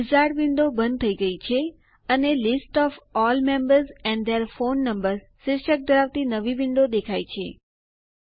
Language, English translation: Gujarati, The wizard window has closed and there is a new window whose title says, List of all members and their phone numbers